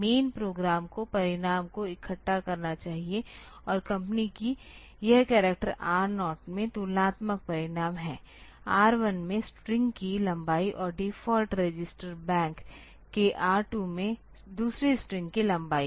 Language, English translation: Hindi, The main program should collect the results and the company that this character is a comparison result in R 0; length of string first thing in R 1 and length of second string in R 2 of the default register bank